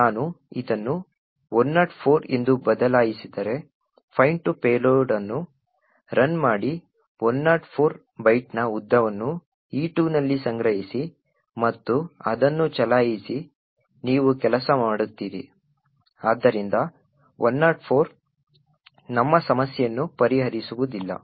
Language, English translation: Kannada, If I change this to say 104, run the fine payload, store the length of E2 of 104 byte is in E2 and run it you see that it works so 104 is not going to solve our problem